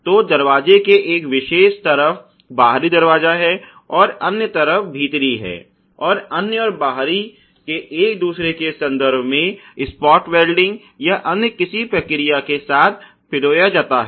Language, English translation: Hindi, So, the outer is on one particular side of the door and the inner in on another new hamming the inner and outer with respect to each other with spot welding or whatever processes